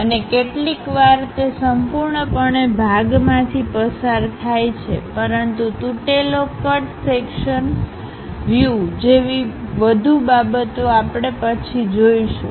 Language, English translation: Gujarati, And sometimes it completely goes through the part; but something named broken cut sectional views, more details we will see later